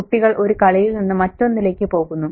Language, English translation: Malayalam, The children go on from game to game